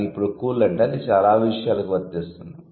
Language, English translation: Telugu, But now cool means it can actually include any kind of things